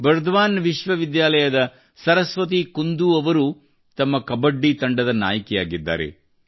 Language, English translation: Kannada, Similarly, Saraswati Kundu of Burdwan University is the captain of her Kabaddi team